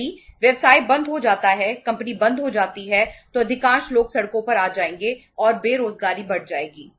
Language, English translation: Hindi, If the company is closed if the business concern is closed then most of the people will come on the roads and unemployment will increase